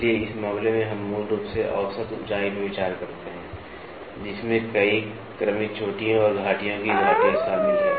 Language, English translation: Hindi, So, in this case we basically consider the average height, encompassing a number of successive peaks and valleys of the asperities